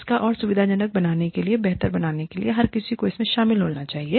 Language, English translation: Hindi, In order to facilitate this, and make this better, everybody has to be involved